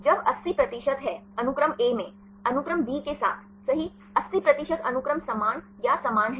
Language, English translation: Hindi, When its 80 percent in the sequence A with the sequence B right, 80 percent of the sequences are the same or similar